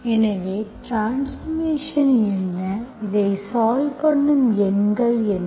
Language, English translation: Tamil, So what are the transformation, what are the numbers I get that solves this